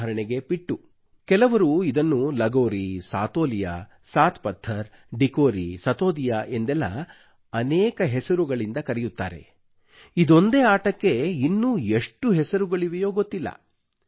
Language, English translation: Kannada, Some called it Lagori, at other places it was Satoriya, Saat Pathar, Dikori, Satodiya… one game with many names